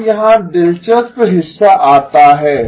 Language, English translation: Hindi, Now here comes the interesting part